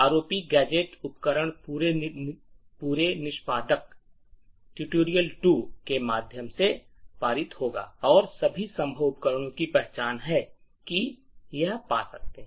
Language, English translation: Hindi, The ROP gadget tool would do was that it would pass through the entire executable, tutorial 2 and identify all possible gadgets that it can find